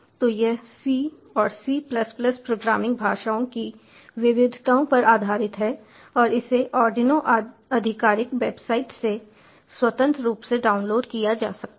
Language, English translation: Hindi, so it is based on the variations of c and c plus plus programming languages and it can be freely downloaded from the arduinos official website